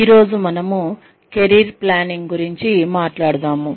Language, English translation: Telugu, Today, we will be talking about, Career Planning